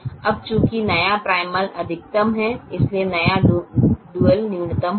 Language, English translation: Hindi, since the new primal is maximization, the new dual will be minimization